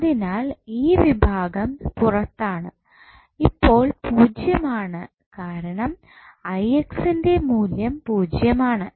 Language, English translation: Malayalam, So, this compartment is out, this is 0 now, because the Ix value is 0